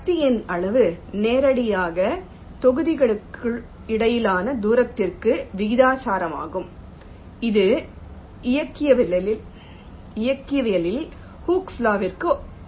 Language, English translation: Tamil, magnitude of the force is directly proportional to the distance between the blocks, which is analogous to hookes law in mechanics